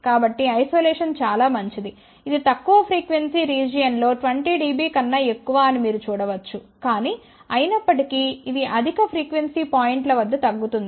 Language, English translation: Telugu, So, one can see that isolation is fairly good it is more than 20 dB in the lower frequency region, but; however, it decreases at the higher frequency points